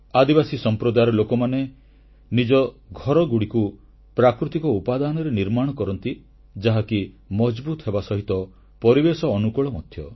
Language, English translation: Odia, Tribal communities make their dwelling units from natural material which are strong as well as ecofriendly